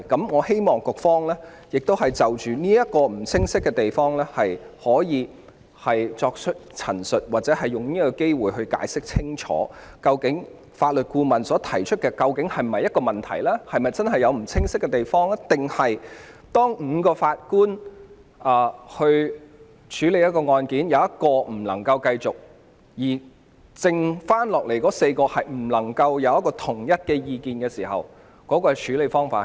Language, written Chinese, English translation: Cantonese, 我希望局方可以就這個不清晰之處作出陳述，或藉此機會清楚解釋，究竟法律顧問提出的情況是否存在問題或不清晰之處，以及在5名法官中有1人無法繼續審理案件，而餘下4名法官又無法達成統一意見時，將有何處理方法。, I hope that the authorities would make a statement on this ambiguity or take this opportunity to clearly explain whether there are problems or ambiguities with the situation highlighted by the Legal Adviser and how cases where one of the five JAs cannot continue and the remaining four JAs are unable to reach a consensus would be dealt with